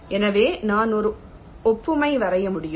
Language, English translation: Tamil, so i can draw an analogy